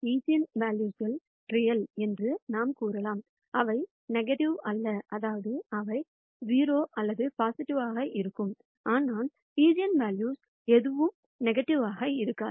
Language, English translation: Tamil, We can also say that while the eigenvalues are real; they are also non negative, that is they will be either 0 or positive, but none of the eigenvalues will be negative